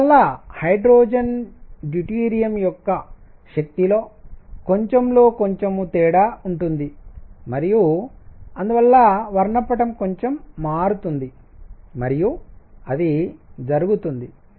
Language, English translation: Telugu, And therefore, there will be slightly slight difference in the energy of hydrogen deuterium and therefore, spectrum would shift a bit and that would